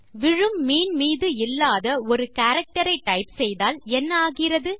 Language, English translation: Tamil, Now lets type a character that is not part of a falling fish